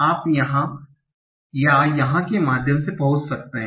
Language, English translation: Hindi, Now, now you can reach via either here or here